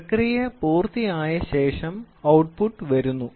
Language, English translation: Malayalam, So, after the process is over so, the output comes